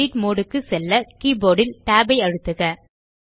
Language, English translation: Tamil, Press tab on your keyboard to enter the Edit mode